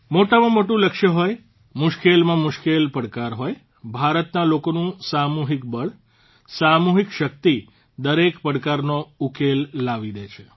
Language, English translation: Gujarati, Be it the loftiest goal, be it the toughest challenge, the collective might of the people of India, the collective power, provides a solution to every challenge